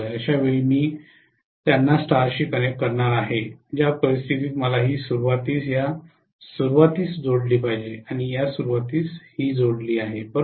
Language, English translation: Marathi, I am going to connect them in star in which case I have to connect this beginning to this beginning, and this is connected to this beginning, right